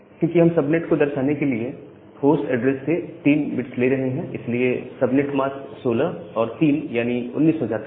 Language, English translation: Hindi, Because, we are taking 3 bits from the host address to denote the subnet, so the subnet mask becomes 16 plus 3 that is equal to 19